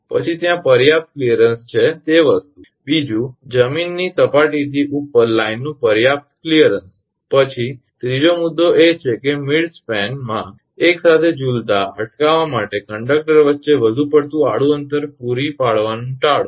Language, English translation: Gujarati, Then sufficient clearance there that is the thing, second line sufficient clearance above ground level, then third point is to avoid providing excessive horizontal spacing between conductors to prevent them swinging together in midspan